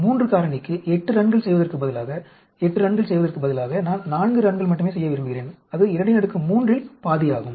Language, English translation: Tamil, Instead of doing 8 runs for a 3 factor, instead of doing 8 runs, I want to do only 4 run; that is half of 2 power 3